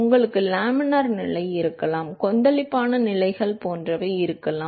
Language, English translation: Tamil, You can have laminar condition, you can have turbulent conditions etcetera